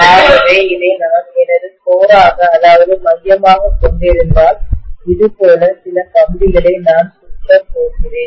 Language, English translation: Tamil, So if I am having this as my core and let us say, I am going to wind some wire like this